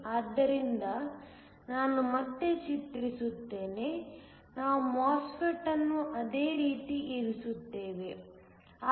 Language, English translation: Kannada, So, let me redraw, we are going to keep the MOSFET as the same